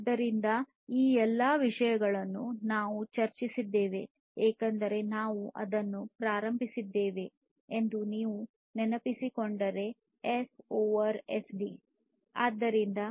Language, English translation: Kannada, So, all of these things we have discussed because if you recall that we started with that formula S over SD